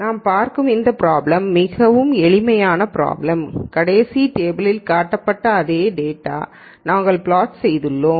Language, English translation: Tamil, So, just so let me see this it is a very simple problem we have plotted the same data that was shown in the last table